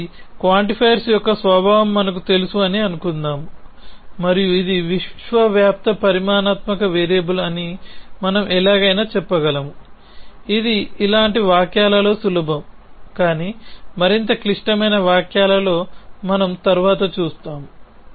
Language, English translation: Telugu, So, let us assume that we know the nature of the quantifier and we can somehow say that is a universally quantified variable, which is easy in sentences like this, but in more complex sentences we will see later it is not